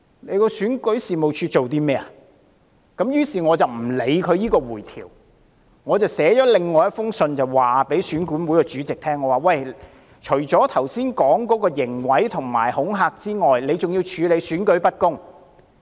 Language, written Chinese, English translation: Cantonese, 於是，我不理會選管會提供的回條，我寫了另一封信給選管會主席，我說除了之前提及的刑毀及恐嚇之外，選管會還要處理選舉不公。, Therefore I disregarded the reply slip provided by EAC and wrote another letter to the EAC Chairman in which I stated EAC ought to deal with the unfairness of the election in addition to the criminal damage and intimidation I referred to previously